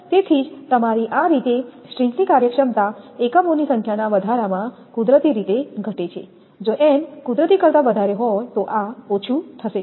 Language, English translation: Gujarati, So, that is why your thus the string efficiency decreases with an increase in the number of units naturally, if your if n is more than naturally this will be less